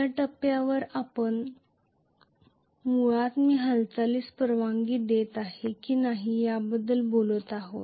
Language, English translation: Marathi, At this point we are basically talking about if I am allowing the movement, at that point